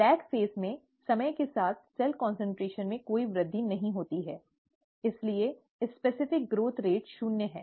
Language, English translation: Hindi, In the lag phase, there is no increase in cell concentration over time, therefore the specific growth rate is zero